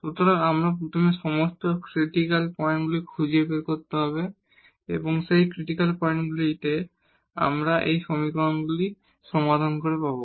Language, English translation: Bengali, So, we need to find first all the critical points and those critical points we will get by solving these equations